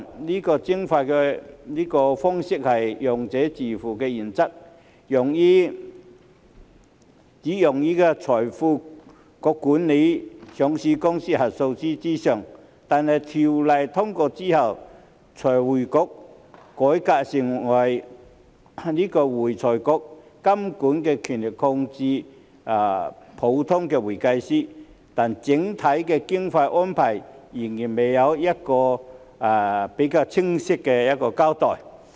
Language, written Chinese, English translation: Cantonese, 這個徵費方式是"用者自付"原則，只用於財匯局監管上市公司核數師之上，但《條例草案》通過之後，財匯局改革成為會財局，監管權力擴大至普通會計師，但整體經費的安排仍然未有比較清晰的交代。, The levies are based on the user pays principle and are only used for FRCs supervision of auditors of listed companies . However after the passage of the Bill FRC will be revamped into AFRC and its regulatory powers will be extended to ordinary accountants but the overall funding arrangements have not yet been clearly explained